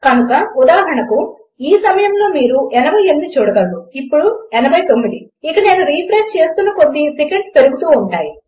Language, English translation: Telugu, So for example, at this moment you can see this 88, now 89 and as I keep refreshing, by every second this increases